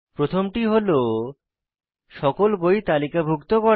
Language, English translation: Bengali, The first one is to list all the books